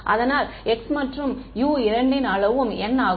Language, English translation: Tamil, So, x and u both are of size n